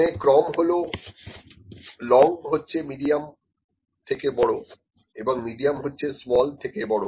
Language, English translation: Bengali, This is order, long is greater than medium is greater than smaller, ok